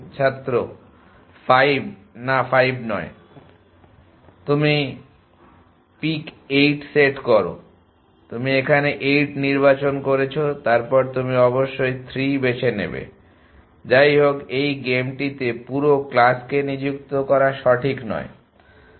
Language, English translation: Bengali, no 5 not 5 You set pick 8; you choose 8 then your forcing will choose 3 anyway the point is not to spend the whole class they in this game